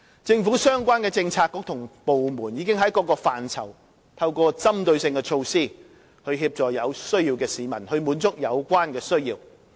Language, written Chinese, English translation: Cantonese, 政府相關政策局與部門已經在各個範疇透過針對性的措施協助有需要的市民，滿足有關的需要。, The relevant Policy Bureaux and departments of the Government have in various aspects provided the needy with assistance to meet their needs through target - specific measures